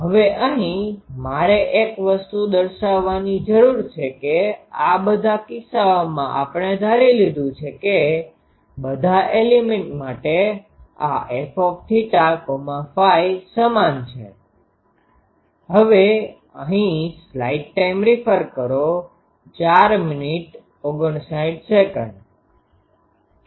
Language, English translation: Gujarati, Now here, I need to point out one thing that in these all these cases we have assumed that these f theta phi for all elements are same